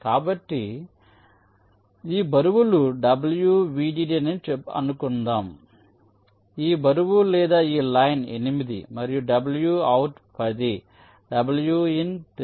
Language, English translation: Telugu, so lets say wvdd, this weight, this weight of this line is eight and w and out is ten, w and in is three and ground is also three